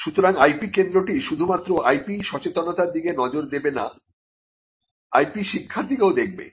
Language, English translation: Bengali, So, the IP centre would not only look at awareness issues with regard to awareness of IP it would also be looking at IP education